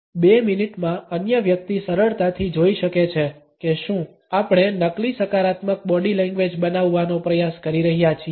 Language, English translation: Gujarati, Beyond a space of 2 minutes the other person can easily find out if we are trying to fake a positive body language